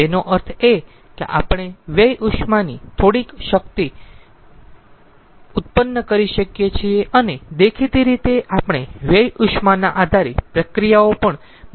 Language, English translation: Gujarati, that means we can generate some amount of power from waste heat and obviously we can also generate some sort of process sitting from the waste heat